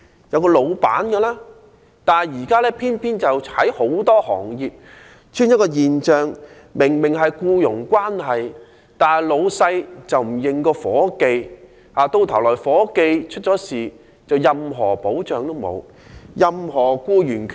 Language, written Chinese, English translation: Cantonese, 然而，現在偏偏很多行業出現一種現象，便是明明雙方是僱傭關係，老闆卻不認夥計，夥計如果發生意外，就得不到任何保障和僱員權益。, However it is now common for employers in different trades to deny their employees despite the existence of a clear employer - employee relationship . Should any accident happen to these employees they will not get any protection and are not entitled to any rights